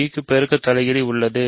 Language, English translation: Tamil, So, b has a multiplicative inverse